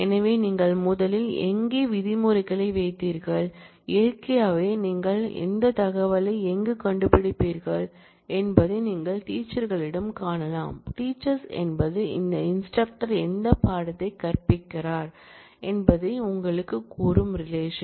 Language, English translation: Tamil, So, you first put the where clause, naturally you where will you find this information you will find this information in teachers, teachers is the relation which tells you which instructor is teaching what course